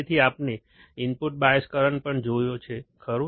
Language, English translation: Gujarati, So, we have also seen the input bias current, right